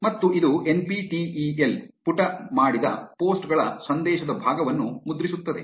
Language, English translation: Kannada, And it will print the message part of the posts that the NPTEL page has done